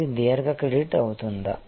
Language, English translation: Telugu, Is it long credit